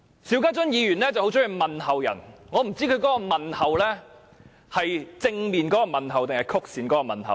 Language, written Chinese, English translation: Cantonese, 邵家臻議員很喜歡問候別人，我不知道他是正面的問候或是曲線的問候。, Mr SHIU Ka - chun likes to give his regards to others . I do not know if he is giving his regards in a genuine or roundabout way